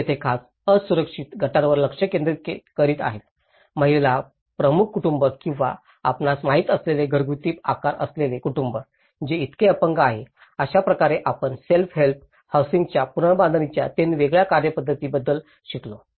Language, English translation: Marathi, And here, they are focusing on particular vulnerable groups especially, the female headed families or families with a large household size you know, that is how disabled so, this is how we learnt about three different modes of the self help housing reconstruction